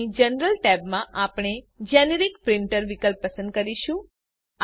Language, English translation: Gujarati, Here we select the Generic Printer option in General Tab